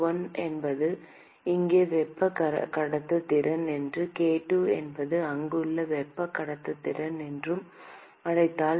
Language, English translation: Tamil, , if I call that k1 is the thermal conductivity here and k2 are the thermal conductivity there